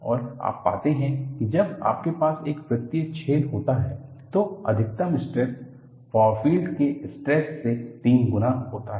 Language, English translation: Hindi, And, you find, when you have a circular hole, the maximum stress is three times the far field stress